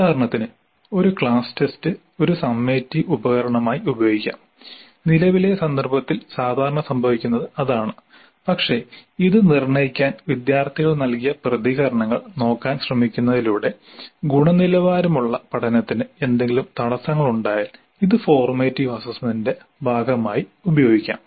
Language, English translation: Malayalam, For example, a class test could be used as a summative instrument which is what happens typically in current context but it also could be used as a part of the formative assessment by trying to look at the responses given by the students to determine if there are any impediments to quality learning